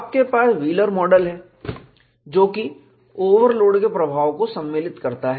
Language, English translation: Hindi, You have a Wheelers model, which accounts for the effect of overload